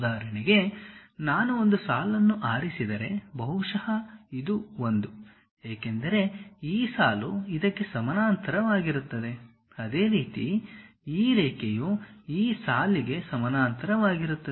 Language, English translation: Kannada, For example, if I am going to pick a line maybe this one; because this line is parallel to this one is parallel to that, similarly this line parallel to this line